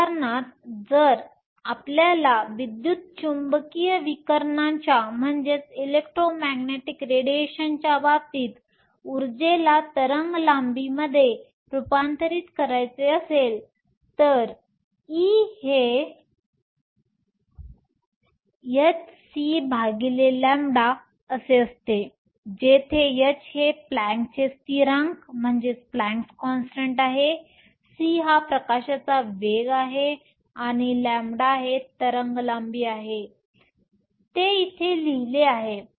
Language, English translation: Marathi, For example, if you want to convert energy into wave length in the case of electromagnetic radiation E is nothing but h c over lambda, where h is the Planck’s constant, c is the velocity of light, and lambda is the wave length; write it here